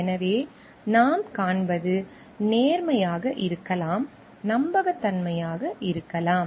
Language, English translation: Tamil, So, what we find may be honesty, trustworthiness